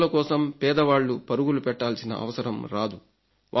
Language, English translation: Telugu, Now the poor will not have to run for recommendation